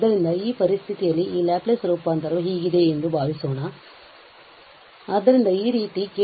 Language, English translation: Kannada, So, suppose and under these condition this Laplace transform is very much useful